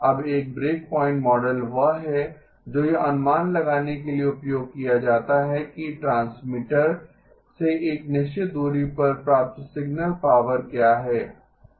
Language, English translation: Hindi, Now a breakpoint model is one that is used to estimate what is the received signal power at a certain distance from the transmitter